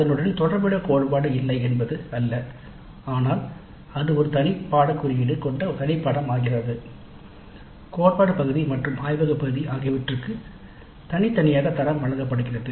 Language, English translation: Tamil, It's not that there is no corresponding theory but it is a distinct separate course with a separate course code and grades are awarded separately for the theory part and for the laboratory part